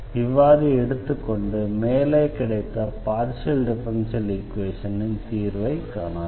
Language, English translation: Tamil, So, this is the differential this is the solution of the given differential equation